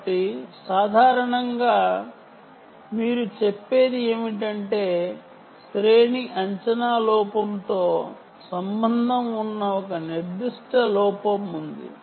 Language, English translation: Telugu, so what normally you would say is: there is a certain error associated with the range estimation error